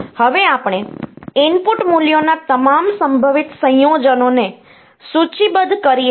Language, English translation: Gujarati, Now, we list down all possible combinations of these input values